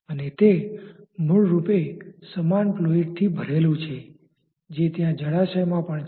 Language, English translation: Gujarati, And it is basically filled with the same fluid which is also there in the reservoir